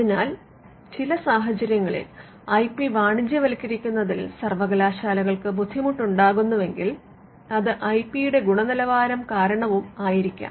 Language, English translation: Malayalam, So, if universities are having problem in commercializing IP it could also be due to the quality of the IP itself